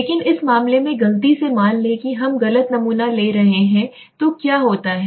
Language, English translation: Hindi, But in this case suppose by mistake we are taking a wrong sample right then what happens